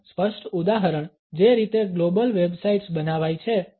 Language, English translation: Gujarati, A clear example of it is the way the global websites are designed